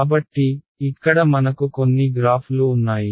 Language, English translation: Telugu, So, I have some graphs over here